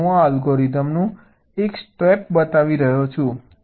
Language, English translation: Gujarati, so i am showing one step of this algorithm